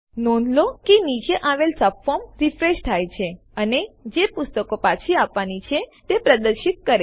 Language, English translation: Gujarati, Notice that the subform below refreshes and shows books to be returned